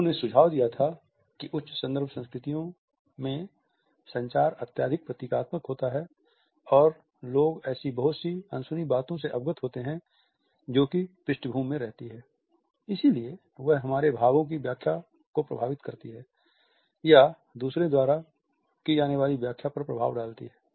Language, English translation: Hindi, He had suggested that in high context cultures communication is highly symbolic and people are aware of so many unsaid things which remain in the background, but which do effect the way in which our meaning is interpreted or has to be decoded by others